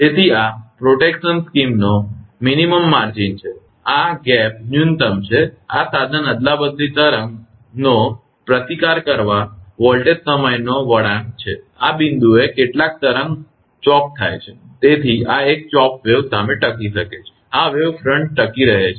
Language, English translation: Gujarati, So, this is the minimum margin of the protection scheme, this gap is the minimum, this is the withstand voltage time curve of equipment chopped wave withstand right, at this point some of the wave is chopped, so this is a chopped wave withstand, and this wave front withstand